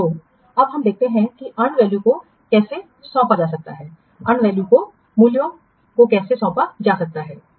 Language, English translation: Hindi, So, now we have seen that how the earned value can be assigned, how a value can be assigned to the earned value